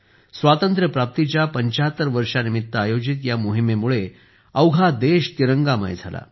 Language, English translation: Marathi, In this campaign of 75 years of independence, the whole country assumed the hues of the tricolor